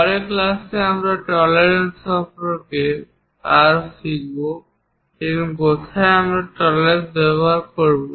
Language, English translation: Bengali, In the next class, we will learn more about tolerances and where we use these tolerances, why they are important